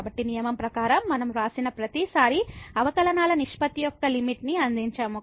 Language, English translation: Telugu, So, that is what in the rule every time we have written provided the limit of the ratio of the derivatives exist